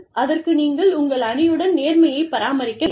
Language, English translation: Tamil, So, you must maintain, integrity, with your team